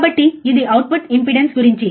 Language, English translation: Telugu, So, this is about the output impedance